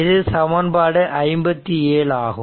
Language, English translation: Tamil, This is equation 47 right